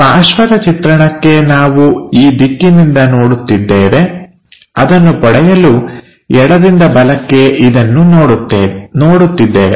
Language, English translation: Kannada, So, for side view, we are looking from this direction from left to right we are observing it